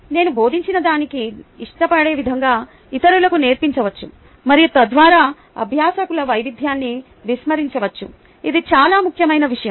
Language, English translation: Telugu, else i may teach others the way i like to be taught and thereby disregard learner diversity